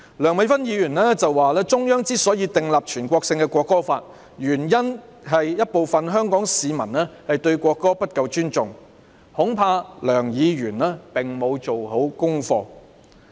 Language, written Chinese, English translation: Cantonese, 梁美芬議員說中央之所以訂立全國性的《國歌法》，原因是有部分香港市民對國歌不夠尊重，恐怕梁議員沒有做足功課。, Dr Priscilla LEUNG said the reason why the Central Authorities formulated the nationwide National Anthem Law was that some Hong Kong people did not pay enough respect to the national anthem . I am afraid Dr Priscilla LEUNG did not do her homework thoroughly